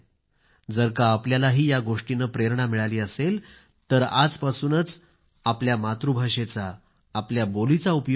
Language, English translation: Marathi, If you too, have been inspired by this story, then start using your language or dialect from today